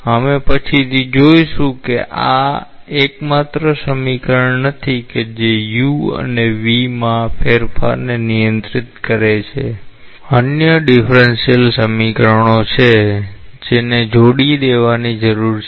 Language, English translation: Gujarati, We will later on see that this is not the only equation that governs the change in u and v; there are other differential equations which need to be coupled